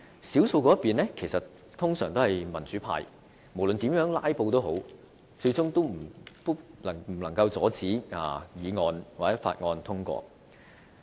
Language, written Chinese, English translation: Cantonese, 少數一方通常是民主派，無論怎樣"拉布"，最終也無法阻止議案或法案通過。, No matter how they filibuster the democratic Members who are always a minority in the Council simply cannot thwart the passage of motions or bills